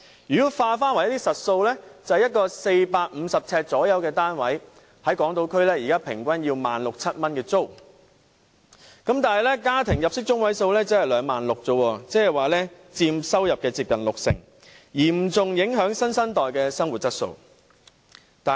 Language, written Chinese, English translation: Cantonese, 如果以實數計算，在港島區一個約450平方呎的單位的租金平均約為 16,000 元至 17,000 元，但家庭入息中位數只是 26,000 元，即租金佔收入接近六成，嚴重影響新生代的生活質素。, If computation is based on actual figures the rent for a 450 - sq ft unit in Hong Kong Island is around 16,000 or 17,000 on average . But the median household income is merely 26,000 . This means that rental payment already accounts for 60 % of ones income